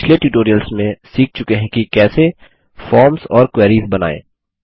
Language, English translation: Hindi, We learnt how to create forms and queries in the previous tutorials